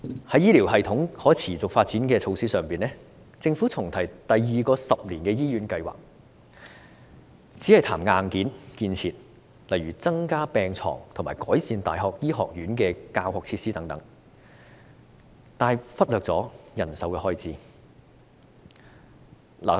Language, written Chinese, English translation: Cantonese, 在醫療系統可持續發展的措施上，政府重提第二個十年醫院計劃，只談硬件建設，例如增加病床和改善大學醫學院教學設施等，但卻忽略人手的開支。, Regarding the measures for sustainable development of the health care system the Government revisited the second 10 - year hospital development plan . It only talked about infrastructure such as additional beds in hospitals and better teaching facilities in medical schools of universities but ignored staffing expenditure